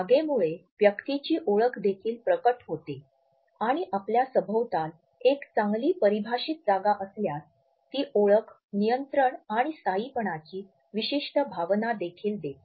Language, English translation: Marathi, So, the space also imparts a sense of identity and if we have a well defined space around us we find that it also gives us a certain sense of identity control and permanence